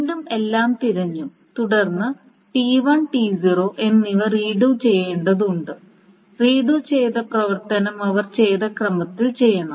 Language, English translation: Malayalam, So again everything is being searched and then both T1 and T0 needs to be redone and again the redoing operation should be done in the order in which they have committed